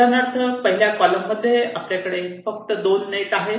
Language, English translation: Marathi, for example, in the first column you have only net two